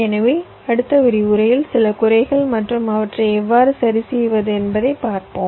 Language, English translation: Tamil, so in our next lecture we shall be looking at some of these draw backs and how to rectify them